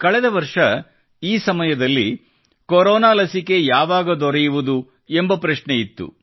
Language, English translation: Kannada, Last year, around this time, the question that was looming was…by when would the corona vaccine come